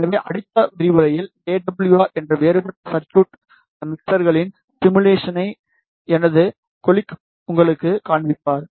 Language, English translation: Tamil, So, in the next lecture, my colleague will show you the simulation of mixers in a different software that is AWR